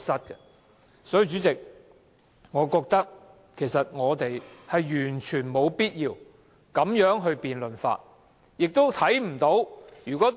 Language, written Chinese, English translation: Cantonese, 因此，主席，我認為我們完全沒必要這樣辯論修改《議事規則》議案。, I therefore find it completely unnecessary President for us to conduct the debate on amending RoP this way